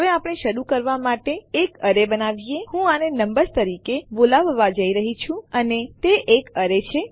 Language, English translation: Gujarati, Now well create an array to start with Im going to call this numbers and its an array